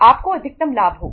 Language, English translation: Hindi, You will have the maximum profits